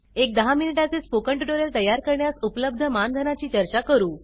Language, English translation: Marathi, Let us discuss the honorarium available for creating a ten minute spoken tutorial Rs